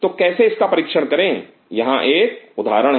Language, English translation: Hindi, So, how to test it here is an example